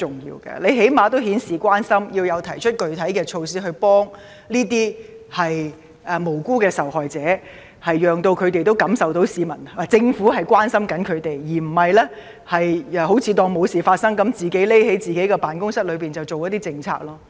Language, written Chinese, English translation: Cantonese, 他起碼應顯示關心，提出具體措施協助這些無辜的受害者，讓他們也能感受到政府官員的關懷，而不是當作沒事發生般，躲在自己的辦公室裏制訂政策。, He should at least show that he cares and propose specific measures to assist the innocent victims so that they can feel the care of government officials rather than pretending that nothing has happened and continuing to hole up in his office to formulate policies